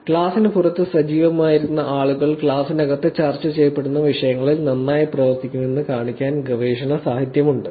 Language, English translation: Malayalam, There is already research literature to show that people were active outside the class to perform well in the topics that are actually discussed inside the class